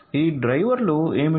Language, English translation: Telugu, So, what are these drivers